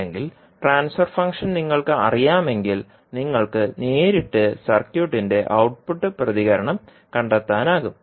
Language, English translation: Malayalam, Or if you know the transfer function, you can straight away find the output response of the circuit